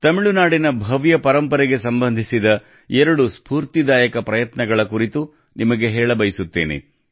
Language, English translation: Kannada, I would like to share with you two very inspiring endeavours related to the glorious heritage of Tamil Nadu